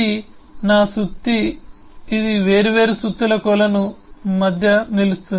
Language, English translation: Telugu, is this my hammer, which stand still amongst the pool of different hammers